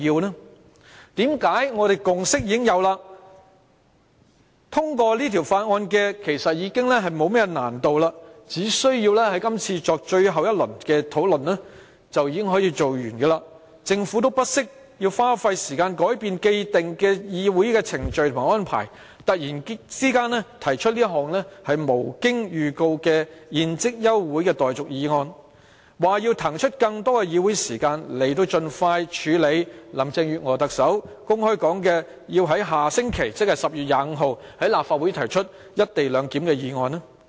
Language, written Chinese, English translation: Cantonese, 我們已經有共識，要通過這項《條例草案》沒有太大難度，只需要作最後一輪討論便可以完成立法，為何政府不惜花時間改變既定的議會程序和安排，突然提出這項無經預告的休會待續議案，說要騰出更多議會時間，以盡快處理特首林鄭月娥公開說要在下星期在立法會提出"一地兩檢"的議案？, As we have already reached a consensus it will not be too difficult to have the Bill passed . After a final round of discussion the legislative process can be completed . How come the Government spared no effort to change the established proceedings and arrangements of the Council meeting and suddenly moved without notice an adjournment motion so as to make available more meeting time to promptly deal with the motion on the co - location arrangement to be moved next week in the Legislative Council as openly stated by Chief Executive Carrie LAM